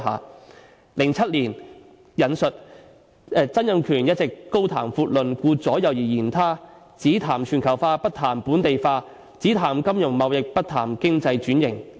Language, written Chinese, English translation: Cantonese, 在2007年的一篇政論說："曾蔭權一直高談闊論，顧左右而言他，只談全球化，不談本地化；只談金融貿易，不談經濟轉型。, A political commentary in 2007 said Donald TSANG has been talking with eloquence but evasively . He only talks about globalization but not localization talks about finance and trading but not economic restructuring